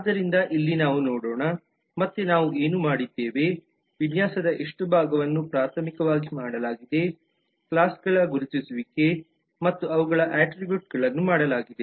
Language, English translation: Kannada, so here we will primarily again quickly recap what we did how much part of the design has been done primarily the identification of classes and their attributes have been done